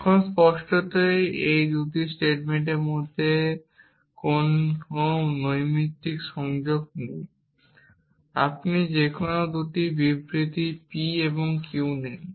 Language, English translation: Bengali, Now, obviously there is no casual connection between these 2 statements you take any 2 statements p and q